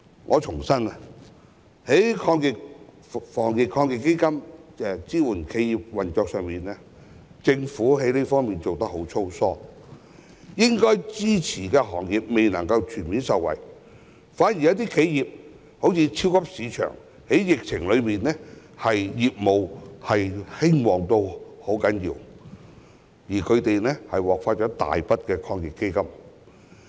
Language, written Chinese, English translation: Cantonese, 我重申，在防疫抗疫基金支援企業運作方面，政府真的做得很粗疏，應該支持的企業未能全面受惠，反而一些企業，例如超級市場，在疫情期間業務極為興旺，還獲發大筆抗疫基金。, I would like to reiterate that the Government has really done a sloppy job in supporting the operation of enterprises under the Anti - epidemic Fund . Enterprises that should be supported have not fully benefited while some other enterprises such as supermarkets enjoying extremely brisk business during the epidemic still received handsome sums from the Anti - epidemic Fund